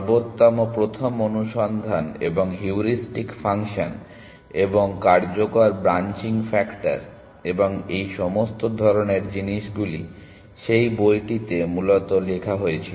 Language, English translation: Bengali, The best first search and heuristic functions and effective branching factor and all this kind of stuff was written in that book essentially